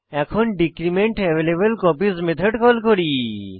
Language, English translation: Bengali, Then we call decrementAvailableCopies method